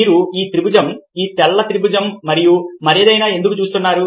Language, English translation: Telugu, why is it that you are seeing this triangle, this white triangle, and not anything else